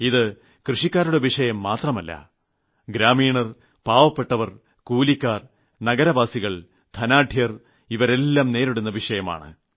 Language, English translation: Malayalam, This concerns everybody the villages, the poor, the labourers, the farmers, the urban people, the country folk, the rich and the poor